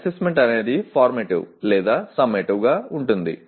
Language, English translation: Telugu, Assessment could be formative or summative